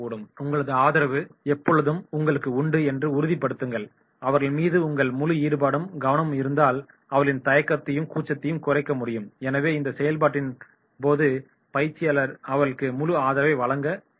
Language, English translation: Tamil, Assure them of your support, and during this process of involvement and their engagement and therefore minimising their hesitance and their shyness, so during this process the trainer should provide them the full support